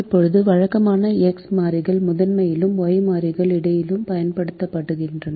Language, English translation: Tamil, now, usually the variables x are used in the primal and the variables y are used in the dual